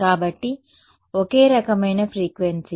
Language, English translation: Telugu, So, single frequency kind of a thing